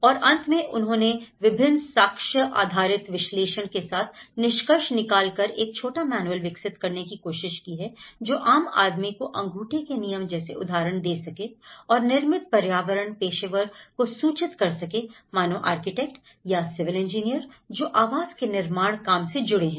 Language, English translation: Hindi, And finally, they have concluded with various evidence based analysis, they try to develop a small manual about to you know, which gives the kind of thumb rules for example, how it will inform the built environment professionals for instance, in architects or a civil engineer who is constructing the housing